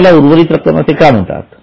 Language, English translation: Marathi, Now, why it's called residual